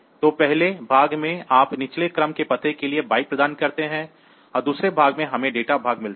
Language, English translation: Hindi, So, in the first part you provide the address for the lower order address byte and in the second part, we get the data part